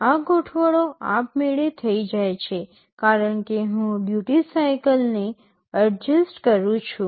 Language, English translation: Gujarati, These adjustments are done automatically as I adjust the duty cycle